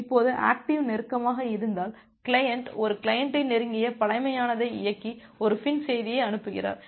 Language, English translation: Tamil, Now, in case of the active close, the client send an client execute the close primitive and send a FIN message